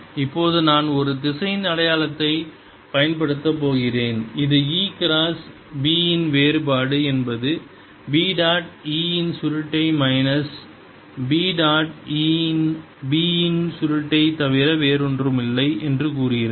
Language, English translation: Tamil, now i am going to use a vector identity which says that divergence of e cross b is nothing but b dot curl of e minus e dot curl of b